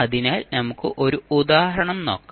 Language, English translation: Malayalam, So, let us take one example